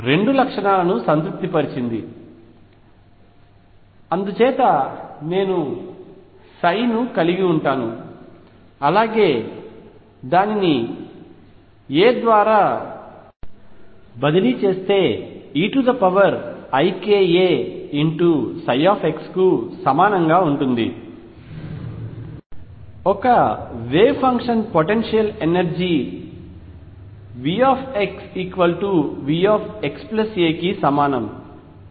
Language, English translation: Telugu, Has satisfy both the properties, and therefore I am going to have psi if I shift by a is going to be equal to e raise to i k a psi of x, for a wave function in a potential energy V x equals V x plus a